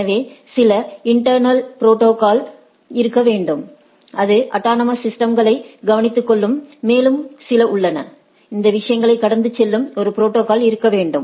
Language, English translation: Tamil, So, one is that there should be some internal routing protocol, which will take care of this within the autonomous system and there are some, there are, there should be a protocol which goes across these things